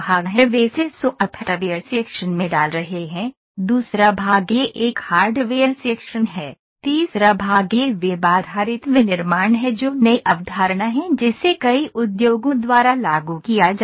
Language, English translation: Hindi, They are putting it software section, the second part this is a hardware section, the third part this is the web based manufacturing that is new concept that is being applied by many of industries